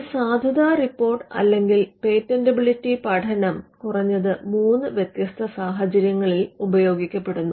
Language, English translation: Malayalam, Now, a validity report or what we call a patentability study would be used in at least 3 different situations